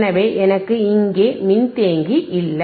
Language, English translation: Tamil, So, I have no capacitor here